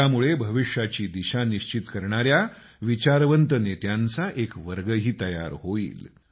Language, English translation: Marathi, This will also prepare a category of thought leaders that will decide the course of the future